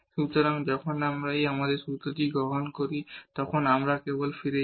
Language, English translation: Bengali, So, when we take the in our formula if we just go back